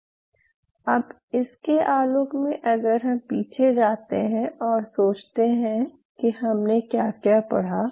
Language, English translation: Hindi, And now in the light of this if you go back and think what all we covered think over it